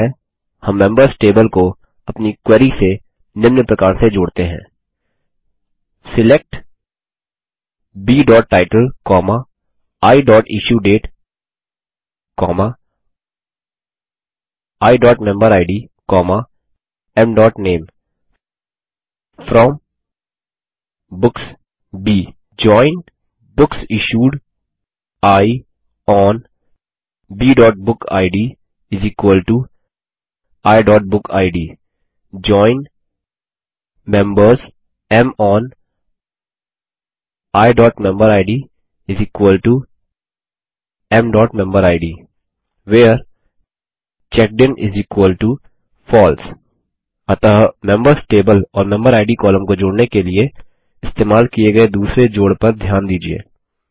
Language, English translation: Hindi, Simple we JOIN the members table to our query as follows: SELECT B.Title, I.IssueDate, I.MemberId, M.Name FROM Books B JOIN BooksIssued I ON B.BookId = I.BookId JOIN Members M ON I.MemberId = M.MemberId WHERE CheckedIn = FALSE So notice the second join with the Members table and the MemberId column used for joining